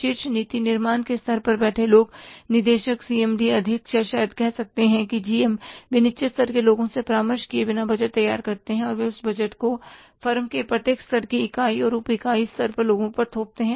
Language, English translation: Hindi, People sitting at the top policy making level, directors, CMD, chairman or maybe the GMs, they prepare the budget without consulting the people at the lowest level and they impose that budget on the people at every level unit and subunit level in the firm